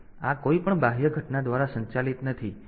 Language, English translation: Gujarati, So, this is not guided by any external phenomena